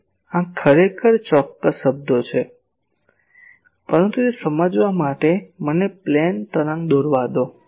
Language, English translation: Gujarati, Now, these are actually exact terms, but to understand that let me draw a plane wave